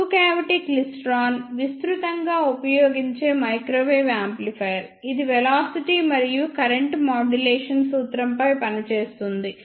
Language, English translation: Telugu, Now, let us see two cavity klystron a two cavity klystron is a widely used microwave amplifier, which works on the principle of velocity and current modulation